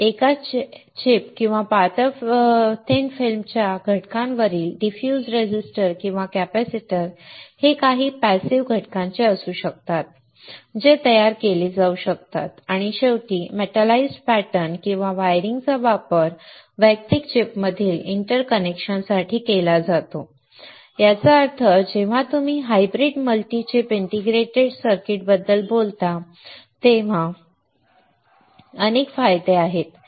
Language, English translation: Marathi, Diffuse resistors or capacitors on a single chip or thin film components can be of some of the passive components, that can be fabricated and finally the metalized pattern or wiring is used for interconnection between the individual chip; that means, that there are several advantages when you talk about hybrid multi chip integrated circuits